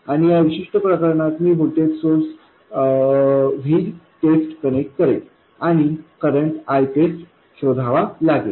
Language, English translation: Marathi, And in this particular case, I will connect a voltage source v test and find the current I test